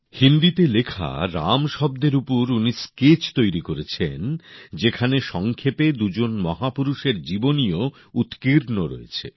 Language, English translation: Bengali, On the word 'Ram' written in Hindi, a brief biography of both the great men has been inscribed